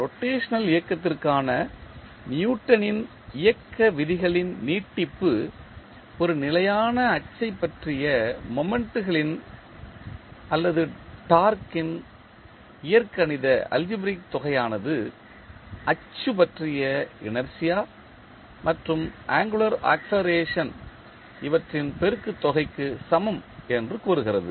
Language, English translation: Tamil, The extension of Newton’s law of motion for rotational motion states that the algebraic sum of moments or torque about a fixed axis is equal to the product of the inertia and the angular acceleration about the axis